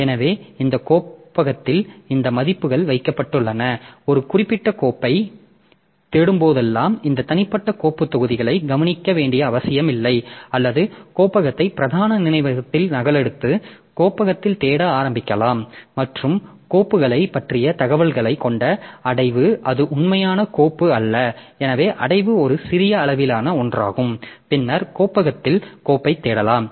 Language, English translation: Tamil, this values are kept in this directory so whenever whenever you are searching for a particular file you don't need to look into this individual file blocks or you can just copy the directory into the main memory and start searching in the directory and directory containing information only about the files it is the not the actual file so directory is a small sized one and then we can search for the file in the directory so we'll continue with the directory structure in the next class